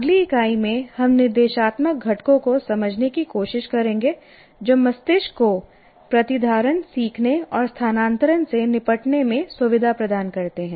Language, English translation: Hindi, And in the next unit, we'll try to understand the instructional components that facilitate the brain in dealing with retention, learning and transfer